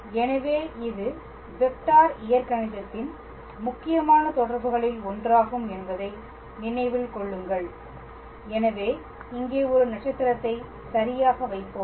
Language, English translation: Tamil, So, this is one of the important relations of vector calculus keep in mind so, we will put a star here all right